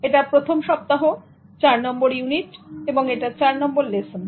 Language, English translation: Bengali, This is the first week and fourth unit and this is the fourth lesson